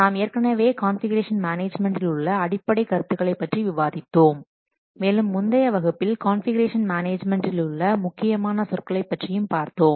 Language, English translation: Tamil, So we have already discussed the fundamental concepts of configuration management various terminologies of configuration management in the previous class